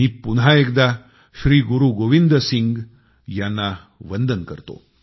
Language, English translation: Marathi, I once again bow paying my obeisance to Shri Guru Gobind Singh ji